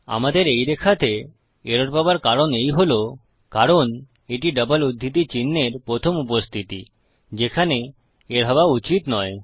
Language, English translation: Bengali, Okay so the reason that we are getting an error in this line is because this is the first occurrence of a double quotes where it shouldnt be